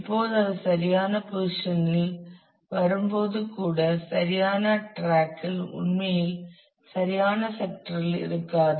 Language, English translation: Tamil, Now, even when it is come to the; correct position in terms of the correct track it may not actually be on the correct sector